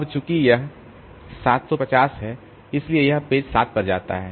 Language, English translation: Hindi, Now, since this is 750, so this goes to page 7